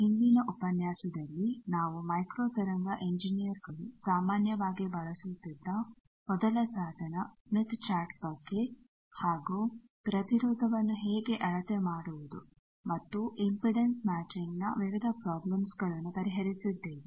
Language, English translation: Kannada, In earlier lectures we have seen the first tool smith chart, which microwave engineers use very often and with that tool we have also seen how to measure impedance and we have solved various problems for impedance matching